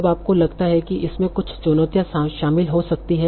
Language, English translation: Hindi, Now, do you think there might be certain challenges involved